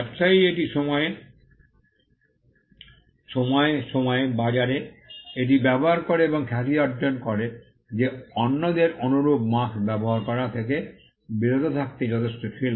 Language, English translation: Bengali, The fact that the trader used it in the market over a period of time and gained reputation was enough to stop others from using similar marks